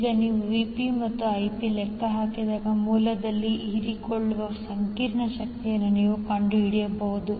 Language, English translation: Kannada, Now when you have Vp and Ip calculated, you can find out the complex power absorbed at the source